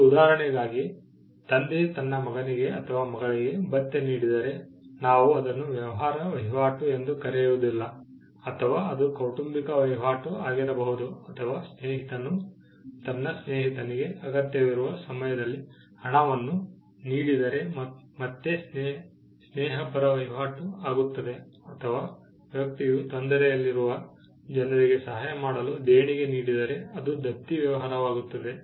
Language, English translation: Kannada, For an instance, father gives allowance to his son or to his daughter, we do not call that as a business transaction, it can be a familial transaction or a friend gives money to his friend in a time of need that is again friendly transaction or person gives a donation to assist people in distress that is again charitable transaction